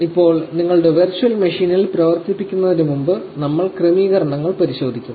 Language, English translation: Malayalam, Now, just before you power on your virtual machine we will just have a look at the settings